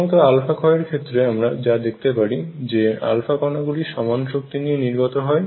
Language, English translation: Bengali, What is seen in alpha decay is alpha particles come out with the same energy, number 1